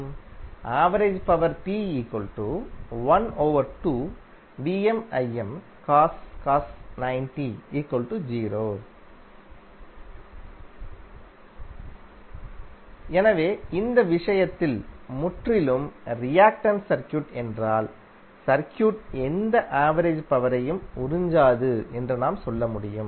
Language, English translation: Tamil, So in this case, what you can say that in case of purely reactive circuit, the circuit will not absorb any average power